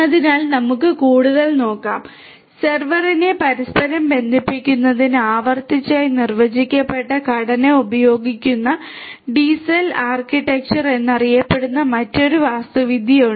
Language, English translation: Malayalam, So, let us look further there are there is this another architecture which is known as the DCell architecture which uses a recursively defined structure to interconnect the server